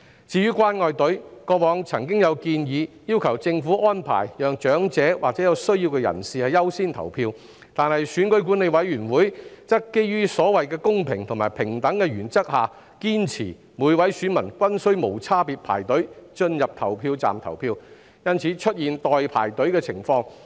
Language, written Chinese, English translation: Cantonese, 至於"關愛隊"，過往曾有建議要求政府安排讓長者或有需要的人士優先投票，但選舉管理委員會則基於所謂公平及平等的原則，堅持每位選民均須無差別排隊進入投票站投票，因此出現了"代排隊"的情況。, As for caring queues in the past there were suggestions urging the Government to grant priority to the elderly or persons in need in voting . However the Electoral Affairs Commission insisted that based on the so - called principles of fairness and equality every voter must queue indiscriminately to enter the polling stations to cast their votes which has given rise to the situation of queuing up for another person